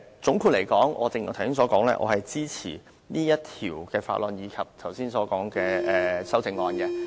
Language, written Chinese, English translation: Cantonese, 總括來說，正如我剛才所說，我支持此項《條例草案》及剛才所說的修正案。, All in all as I have stated earlier I support the Bill and the above mentioned amendments